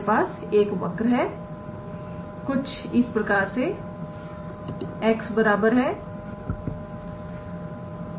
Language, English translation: Hindi, We can have a curve something like x equals to